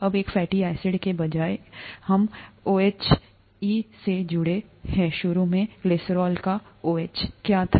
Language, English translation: Hindi, Now, instead of one fatty acid attached to one of this OH, what was initially OH of the glycerol